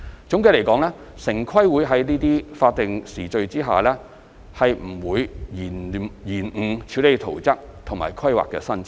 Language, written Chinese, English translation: Cantonese, 總的來說，城規會在這些法定時序下不可能延誤處理圖則和規劃申請。, In short TPB will not delay the preparation of plans and the handling of planning applications under these statutory schedules